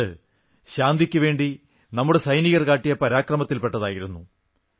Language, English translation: Malayalam, This too was an act of valour on part of our soldiers on the path to peace